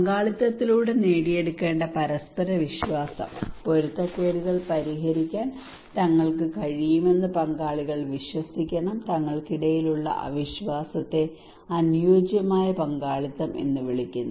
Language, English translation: Malayalam, Mutual trust, that should be achieved through participations, stakeholders should believe among themselves they should be able to resolve conflict, distrust among themselves that would called an ideal participations